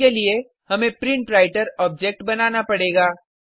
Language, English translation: Hindi, For that, we will have to create a PrintWriter object